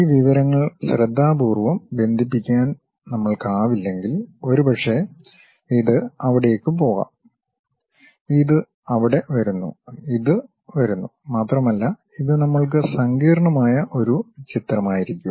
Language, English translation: Malayalam, If we are not in a position to carefully connect this information maybe this one goes there, this one comes there, this one comes and it will be a complicated picture we will be having which might be observed also